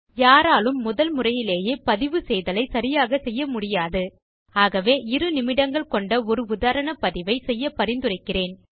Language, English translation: Tamil, No one get the recording right in the first go,so we recommend a sample recording for a couple of minutes